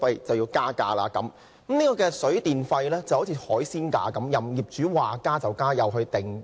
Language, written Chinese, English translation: Cantonese, 水費和電費就如海鮮價般，業主說加便加。, The electricity and water charges are just like seafood prices which can be raised by the landlord at will